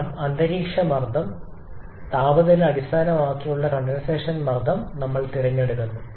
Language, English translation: Malayalam, Because we select the condensation pressure based upon the atmospheric temperature